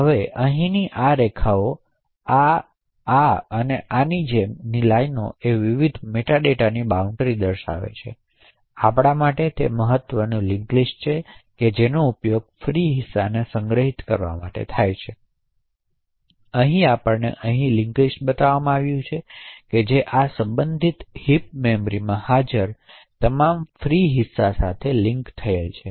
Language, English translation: Gujarati, Now the lines over here like this this and these lines are separation for the various meta data that are present, so important for us are the link list which are used to store the free chunks, so over here we are shown a w link list which actually is linked to all the free chunks that are present in this corresponding heap memory